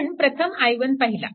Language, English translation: Marathi, So, this is your i 1